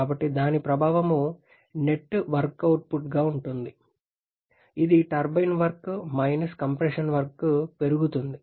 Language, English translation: Telugu, So, the effect will be the net work output, which is the turbine work minus compression work that is going to increase